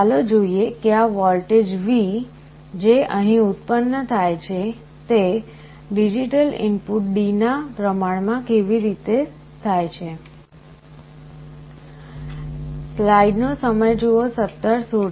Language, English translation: Gujarati, Let us see how this voltage V which is generated here, is proportional to the digital input D